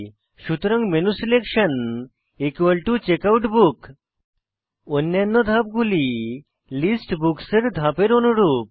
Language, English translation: Bengali, So menuselection is equal to checkoutbook The steps are the same that we saw for List Books